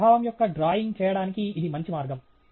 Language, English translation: Telugu, This is a good way to make a drawing of this nature